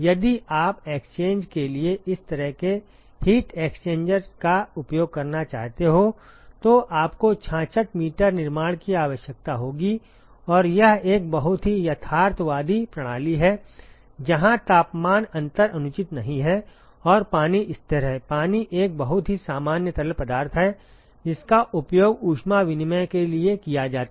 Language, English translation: Hindi, You would require 66 meters of construction if you want to use this kind of a heat exchanger for exchange and this is a pretty realistic system where the temperature difference not unreasonable, and water is a constant; water is a very normal fluid which is used for heat exchange